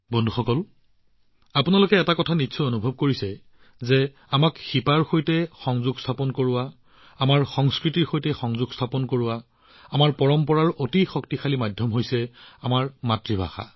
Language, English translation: Assamese, Friends, you must have often experienced one thing, in order to connect with the roots, to connect with our culture, our tradition, there's is a very powerful medium our mother tongue